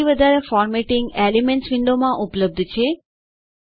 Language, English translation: Gujarati, More formatting is available in the Elements window